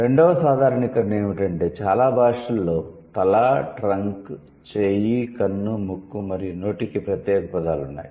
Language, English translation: Telugu, The second generalization was that most languages have separate words for head, trunk, arm, eye, nose and mouth